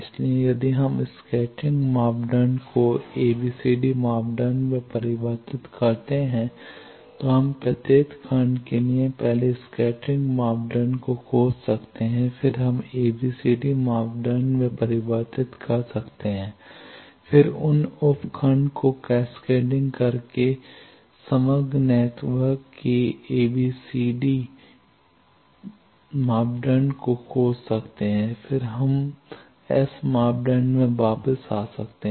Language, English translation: Hindi, So, if we convert from scattering parameter to ABCD parameter then we can find for each block first the scattering parameter, then we can convert to ABCD parameter then find the overall networks ABCD parameter by cascading those sub blocks and then we can reconvert back from ABCD parameter to S parameter, so that the overall S parameter of the whole network will be able to find